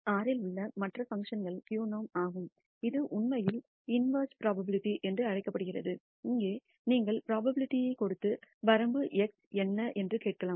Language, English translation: Tamil, Then other functions in R one of them is q norm which actually does what is called the inverse probability; here you give the probability and ask what is the limit X